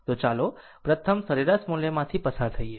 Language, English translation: Gujarati, So, let us first ah, go through the average value